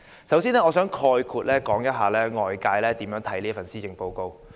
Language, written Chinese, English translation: Cantonese, 首先，我想概括地說說外界如何評價這份施政報告。, First of all I would like to generally talk about how this Policy Address is perceived by the community